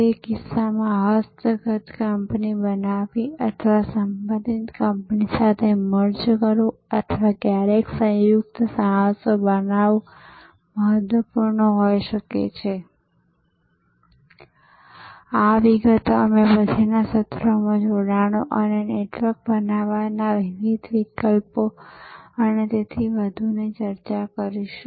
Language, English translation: Gujarati, In that case it may be important to create a acquired company or merge with the related company or sometimes create joint ventures and so on, these details we will discuss in later sessions this various alternatives of forming alliances and networks and so on